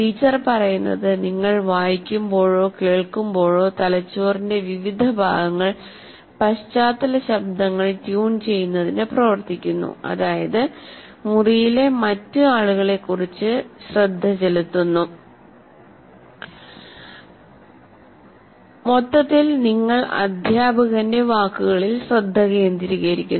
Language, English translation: Malayalam, While you are reading or listening to what the teacher says, different parts of your brain are working to tune out background noises, pay less attention to other people in the room and overall keep you focused on the words